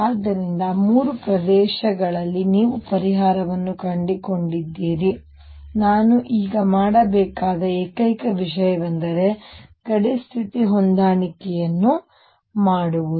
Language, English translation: Kannada, So, you found solution in 3 regions the only thing I have to now do is do the boundary condition matching